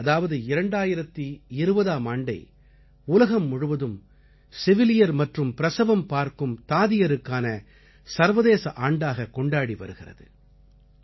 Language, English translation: Tamil, It's a coincidence that the world is celebrating year 2020 as the International year of the Nurse and Midwife